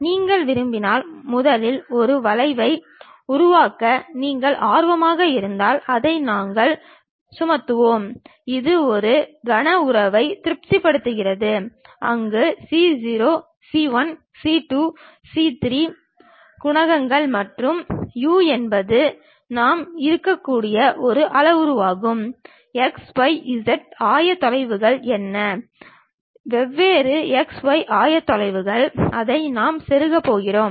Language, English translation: Tamil, And if you want to, if you are interested in constructing a curve first, then we will impose that, it satisfy a cubic relation where c0, c 1, c 2, c 3 are the coefficients and u is a parameter which we might be in a position to say it like, what are the x y z coordinates, different x y z coordinates we are going to plug it